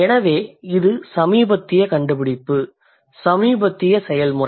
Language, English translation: Tamil, So, this is a recent invention, this is a recent process